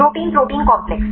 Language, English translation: Hindi, Protein protein complex